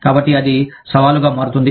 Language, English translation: Telugu, So, that becomes a challenge